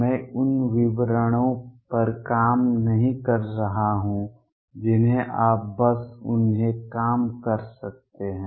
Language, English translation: Hindi, I am not working out the details you can just work them out